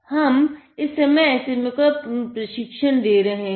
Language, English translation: Hindi, Now what we are doing now, is to train the SMA